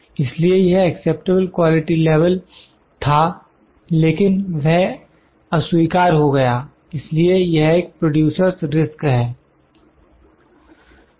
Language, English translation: Hindi, So, this was acceptable quality level but it is rejected that is a producer’s risk so, I have put a letter bad here